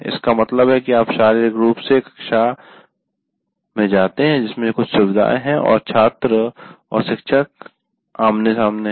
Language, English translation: Hindi, That means you go into a physically a classroom which has certain facilities and the students and teachers are face to face